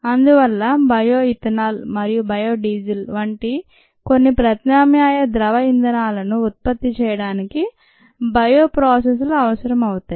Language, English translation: Telugu, so bio processes are required for production of certain alternative liquid fuels, such as bio ethanol and bio diesel